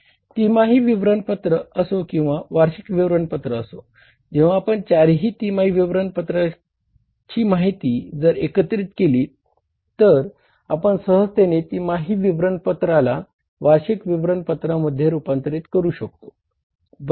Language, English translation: Marathi, Whether it is a quarterly statement or it is the annual statement, you can simply convert that quarterly statement into the annual statement when you consolidate the information for all the four quarters into the annual information